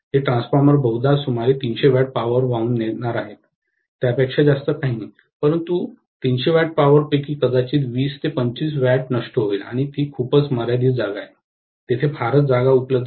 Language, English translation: Marathi, That transformer probably is going to carry only about 300 watts of power, nothing more than that, but out of 300 watts of power, maybe it will be dissipating 20 25 watts and it is a pretty constrained space, there is hardly any space available